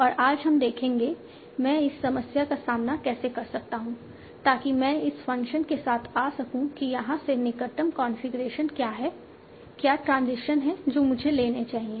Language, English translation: Hindi, And today we will see how do I oppose this problem so that I can come up with this function that what is the closest configuration from here to here, what is the transition that I should be taking